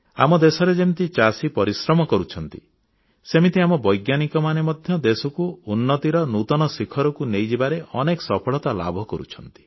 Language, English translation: Odia, In our country, like the toiling farmers, our scientists are also achieving success on many fronts to take our country to new heights